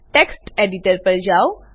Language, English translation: Gujarati, Switch to text editor